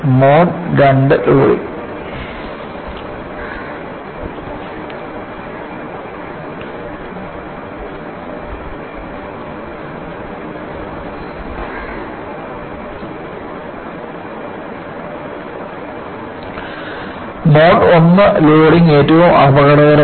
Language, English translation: Malayalam, So, Mode I loading is the most dangerous